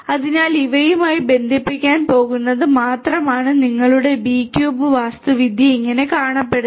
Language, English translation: Malayalam, So, only it is going to connect to these this is how your B cube architecture grossly looks like